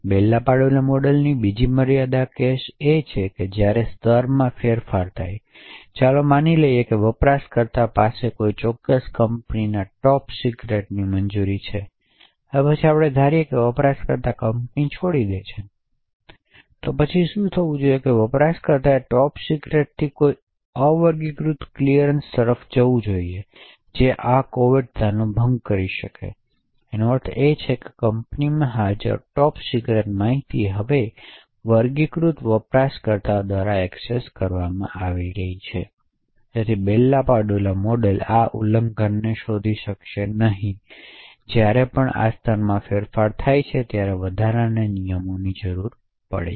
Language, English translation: Gujarati, Another limitation of the Bell LaPadula model is the case when there is a change of levels, let us assume that a user has a clearance of top secret a particular company, now after sometimes let us assume that user leaves the company, so what should happen is that user should move from top secret to an unclassified clearance, so this could lead to a breach of confidentiality, it would mean that top secret information present in the company is now accessed by unclassified users, so the Bell LaPadula model would not be able to detect this breach, therefore an additional rule would require whenever there is a change of levels